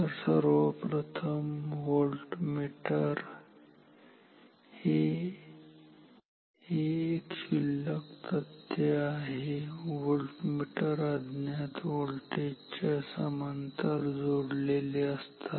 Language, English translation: Marathi, So, volt meters firstly, this is a trivial fact voltmeters are connected in parallel to the unknown voltage ok